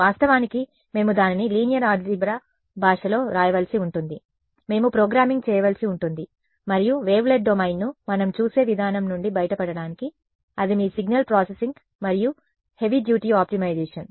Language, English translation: Telugu, We of course, had to write it in the language of linear algebra we had to do programming and to get that ill posedness out of the way we looked at the wavelet domain for example, that is your signal processing and heavy duty optimization